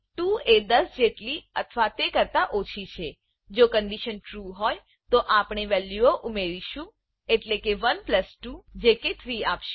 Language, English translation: Gujarati, 2 is less than or equal to 10, if the condition is true then we will add the values, (i.e ) 1 plus 2 which will give 3